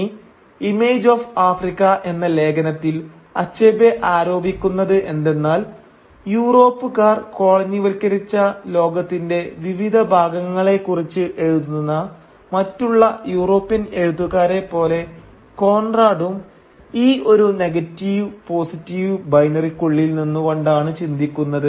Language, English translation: Malayalam, Now what Achebe alleges in his essay “Image of Africa” is that Conrad too, like most European writers writing about the parts of the world that was colonised by them, thought from within this negative/positive binary